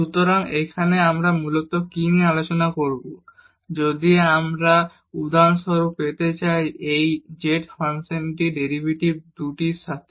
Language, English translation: Bengali, So, here what basically we will be discussing here, if we want to get for example, the derivative of this z function with respect to 2 t